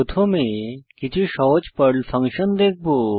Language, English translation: Bengali, We will first see some simple Perl functions